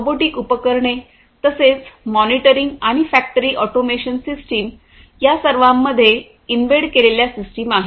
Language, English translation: Marathi, Robotic equipments likewise process monitoring and factory automation systems, all of these have embedded systems in them